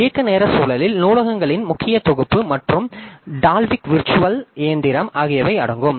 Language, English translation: Tamil, Runtime environment includes a course set of libraries and Dalvik virtual machine